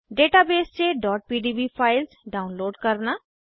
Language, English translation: Hindi, * Download .pdb files from the database